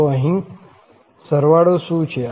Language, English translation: Gujarati, So, that is the sum